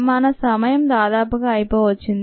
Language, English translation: Telugu, i think we are almost out of time